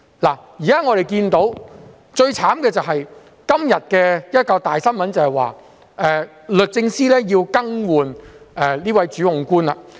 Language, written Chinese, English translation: Cantonese, 我們現時看到最悽慘的事情是，今天有一宗大新聞，就是律政司要更換這名主控官了。, The worst thing we see is the news headline today that the Department of Justice has to replace the prosecutor of the case